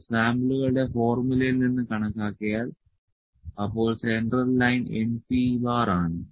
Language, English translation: Malayalam, If it is estimated from samples of formula the central the central line is np bar this central line